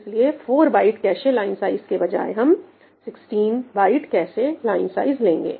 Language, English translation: Hindi, So, instead of 4 byte cache line size ,now we said we will have 16 byte cache line size